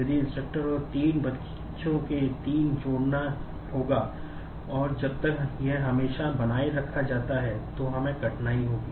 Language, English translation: Hindi, If the instructor and three children will need to add three and unless this is maintained always, then we will have difficulty